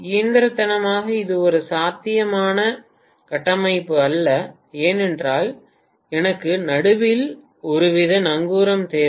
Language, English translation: Tamil, Mechanically it is not a viable structure because I need some kind of anchor in the middle